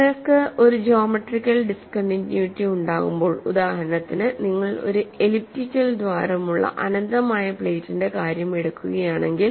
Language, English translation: Malayalam, When you have a geometric discontinuity; for example, if you take the case of an infinite plate with an elliptical hole; so I have a cut out here